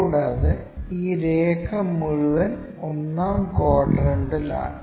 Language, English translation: Malayalam, And, this entire line is in the 1st quadrant